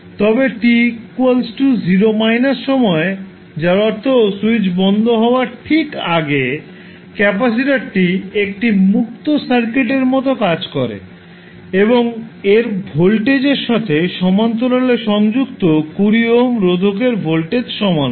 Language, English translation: Bengali, Now at t is equal to 0 minus that means just before the switch is closed the capacitor acts like a open circuit and voltage across it is the same as the voltage across 20 ohm resistor connected in parallel with it